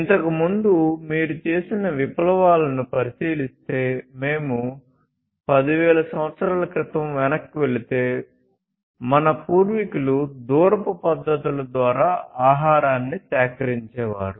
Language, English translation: Telugu, So, if you look at revolutions in the past earlier if we go back more than 10,000 years ago, our predecessors used to collect food through foraging techniques